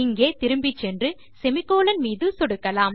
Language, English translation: Tamil, We go back here and click on semicolon